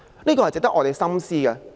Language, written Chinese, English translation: Cantonese, 這是值得我們深思的。, This is worth our pondering